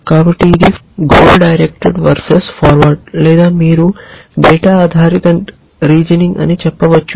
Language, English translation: Telugu, So, this is goal directed versus forward or you might say data driven reasoning